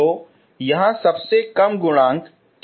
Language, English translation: Hindi, So what is the lowest coefficient here